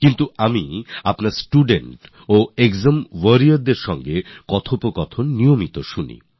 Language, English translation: Bengali, But I regularly listen to your conversations with students and exam warriors